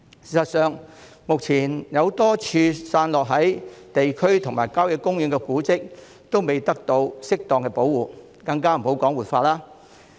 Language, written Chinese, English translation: Cantonese, 事實上，目前多個散落在各區和郊野公園的古蹟，仍未得到適當保護，更莫說活化。, In fact a number of heritage sites scattered in various districts and country parks are not properly preserved let alone revitalized